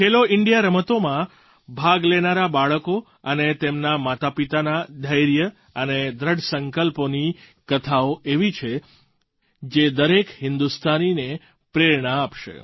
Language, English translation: Gujarati, The stories of the patience and determination of these children who participated in 'Khelo India Games' as well as their parents will inspire every Indian